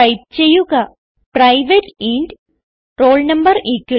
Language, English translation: Malayalam, So type private int roll no=50